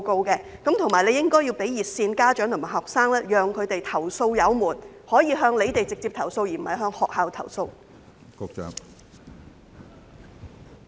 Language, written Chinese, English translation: Cantonese, 此外，當局亦應向家長和學生提供熱線服務，讓他們投訴有門，可以讓他們直接向當局投訴，而不是向學校投訴。, Moreover the authorities should also provide hotline services for parents and students to lodge complaints directly with the authorities instead of schools